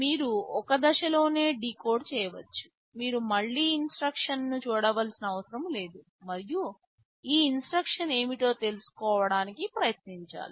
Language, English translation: Telugu, You can decode in one stage itself, you do not have to again look at the instruction and try to find out what this instruction was ok